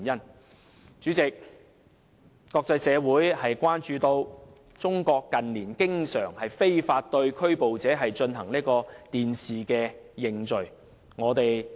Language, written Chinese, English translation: Cantonese, 代理主席，國際社會關注到，中國近年經常非法對拘捕者進行"電視認罪"。, Deputy Chairman the international community is concerned about how in recent years the confessions to crime made by illegally arrested people were often broadcast on television in China